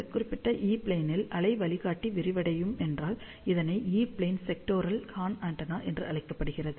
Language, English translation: Tamil, So, if the waveguide is flared, along this particular E plane, it is known as E plane sectoral horn antenna